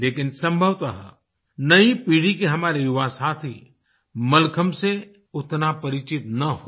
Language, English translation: Hindi, However, probably our young friends of the new generation are not that acquainted with Mallakhambh